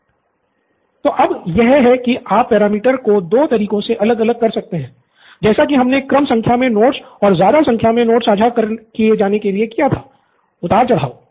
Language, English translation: Hindi, So this one, so then you can vary the parameter two ways, right that’s what we did low number of notes and high number of notes shared, so low and high